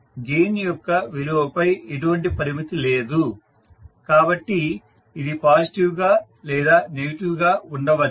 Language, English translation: Telugu, There is no restriction on the value of the gain, so it can be either positive or negative